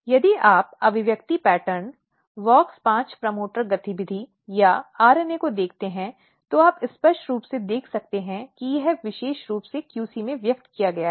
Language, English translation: Hindi, If you look the expression pattern, so this is WOX5 promoter activity or RNA you can clearly see that it is very specifically expressed in the QC